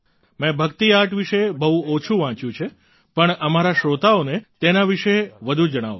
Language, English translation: Gujarati, I have read a little about Bhakti Art but tell our listeners more about it